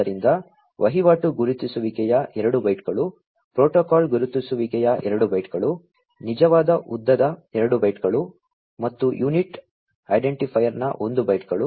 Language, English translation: Kannada, So, 2 bytes of transaction identifier, 2 bytes of protocol identifier, 2 bytes of actual length, and 1 byte of unit identifier